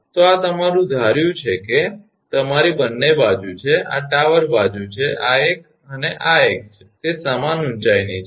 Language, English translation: Gujarati, So, this is your suppose it is your both the side this is tower side this one and this one, they are of equal height right